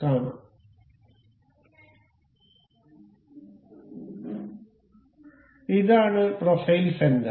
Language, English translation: Malayalam, So, this here is profile center